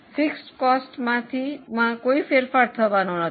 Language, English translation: Gujarati, Fix cost is not going to change